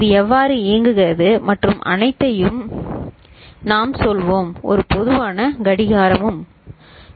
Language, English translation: Tamil, We shall say how it works and all, also a common clock ok